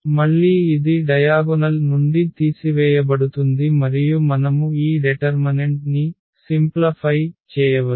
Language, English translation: Telugu, So, again this lambda is subtracted from the diagonal and we can simplify this determinant